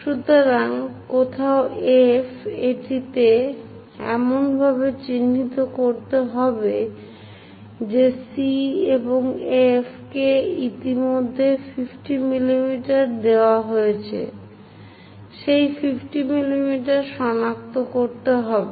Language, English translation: Bengali, So, somewhere F we have to mark it in such a way that C to F is already given 50 mm, with that 50 mm locate it